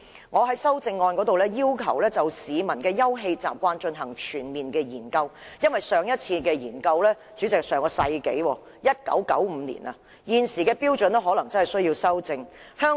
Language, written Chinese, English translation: Cantonese, 我在修正案中要求政府就市民的休憩習慣進行全面研究，因為上一次進行研究已是上世紀1995年的事，現時的標準可能有需要作出修訂。, I ask the Government to conduct a comprehensive study on leisure habits of the public because the last study was conducted in 1995 in the last century and it may be necessary to amend the existing standard . HKPSG has a very detailed definition for open space